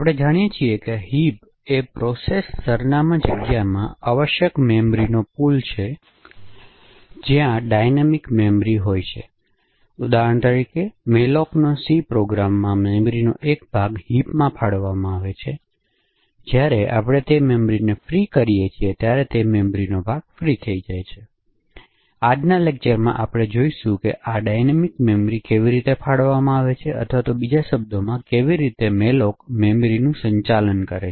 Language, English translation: Gujarati, So as we know heap is essentially a pool of memory present in the processes address space where dynamically allocated memory resides, so every time for example that we use a malloc in a C program a chunk of memory gets allocated in the heap and when we free that memory then the chunk of memory gets freed, so in today’s lecture we will actually be looking at how this dynamically allocated memory or in other words how malloc handles or manages the memory that is present in the heap, so let us just look at this motivating example